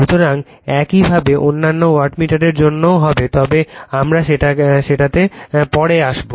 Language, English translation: Bengali, So, if you would similarly for other wattmeter we will come to that